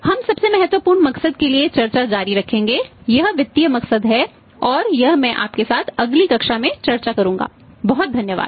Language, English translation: Hindi, We will continue the discussion for the most important motive is the financial motive that I will discuss with you in the next class thank you very much